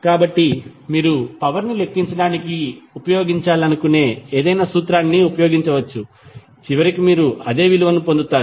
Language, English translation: Telugu, So, you can use any formula which you want to use for calculation of power, you will get the same value eventually